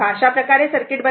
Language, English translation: Marathi, So, this is the circuit